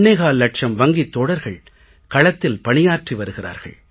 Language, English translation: Tamil, 25 lakh Bank Mitras are serving in the country